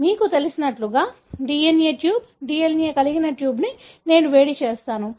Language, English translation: Telugu, So, I heat the, you know, DNA tube, tube containing DNA